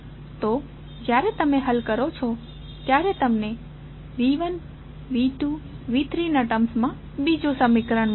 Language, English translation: Gujarati, So, when you solve you get another equation in terms of V 1, V 2, V 3